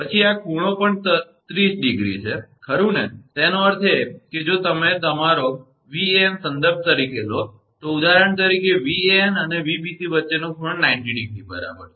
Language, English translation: Gujarati, Then this angle also 30 degree right; that means, if you take your Van as a reference for example, an angle between Van and Vbc is 90 degree right